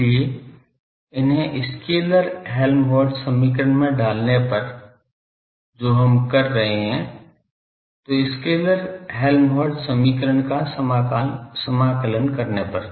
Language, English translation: Hindi, So, putting these in the scalar Helmholtz equation which we are doing, so in scalar Helmholtz equation while integrating